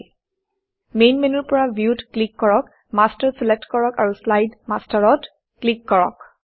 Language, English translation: Assamese, From the Main menu, click View, select Master and click on Slide Master